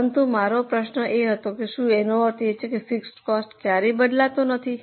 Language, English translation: Gujarati, But my question was, does it mean that fixed cost never changes at all